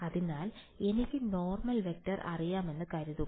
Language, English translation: Malayalam, So, assume that I know the normal vector